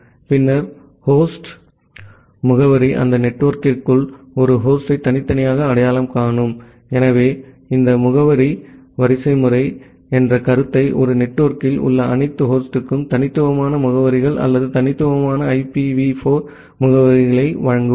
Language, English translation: Tamil, And then the host address, which will uniquely identify a host inside that network, so that is the way we use this concept of address hierarchy to provide unique addresses to or unique IPv4 addresses to all the host inside a network